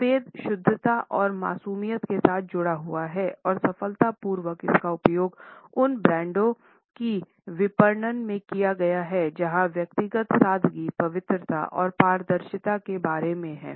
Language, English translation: Hindi, White is associated with purity and innocence and has been successfully used in marketing of those brands where the personality is about simplicity, purity and transparency